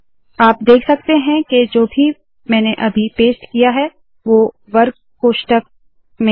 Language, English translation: Hindi, You can see that whatever I have pasted now is within square brackets